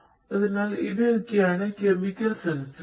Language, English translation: Malayalam, And some chemical sensors could be used